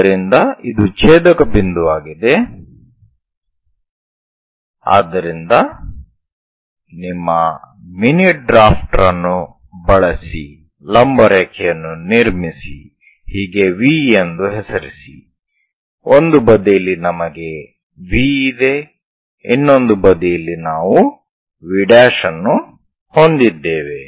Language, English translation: Kannada, So, this is the intersection point So, use your mini drafter construct a vertical line perpendicular thing thus name it V prime, on one side we have V, on other side we have V prime